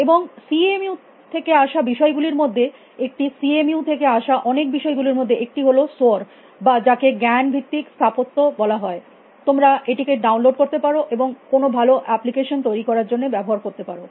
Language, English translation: Bengali, And one of things which came out of CMU, one of the many things which came out CMU was this cognitive architecture call so or which you can even or download and use to bill a good application